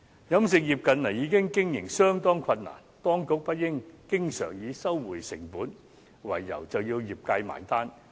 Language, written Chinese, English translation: Cantonese, 飲食業近年經營已經相當困難，當局不應經常以收回成本為由，便要業界"埋單"。, In recent years the catering industry has already suffered great difficulties in business operation . The authorities should not keep asking the industry to pay the bill on the pretext of cost recovery